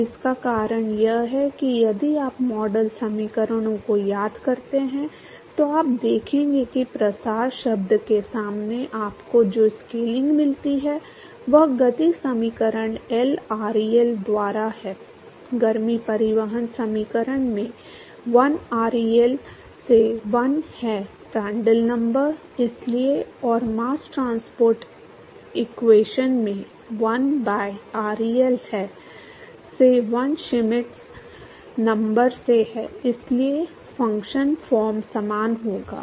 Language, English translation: Hindi, Now the reason is that if you look at if you remember the model equations, you will see that the scaling that you get in front of the diffusion term the momentum equation is 1 by ReL, in heat transport equation is 1 by ReL into 1 by Prandtl number, that is why, and in mass transport equation is 1 by ReL into 1 by Schmidt number, that is why the functional form will be same